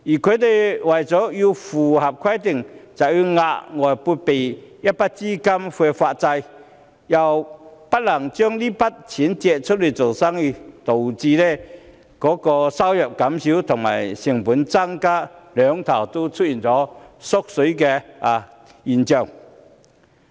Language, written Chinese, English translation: Cantonese, 它們為了符合規定，便要額外撥備一筆資金來發債，不能把這筆錢借出去做生意，導致收入減少及成本增加的雙縮現象。, In order to meet the requirement these banks will have to set aside additional capital for bond issuance instead of using it for lending business leading to a double loss in respect of income reduction and cost increase